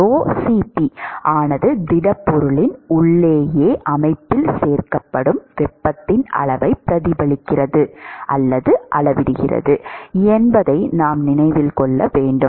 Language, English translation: Tamil, We should remember that rho*Cp reflects or quantifies the amount of heat that is stored inside the system right inside the solid